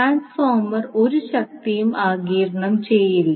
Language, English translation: Malayalam, So, transformer will absorb no power